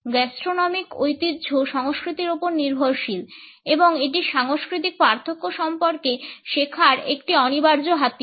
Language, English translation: Bengali, Gastronomic tradition is dependent on culture and it is an unavoidable tool for learning about cultural differences